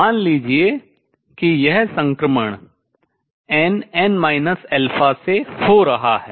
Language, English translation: Hindi, Let us say this is transition taking place from n n minus alpha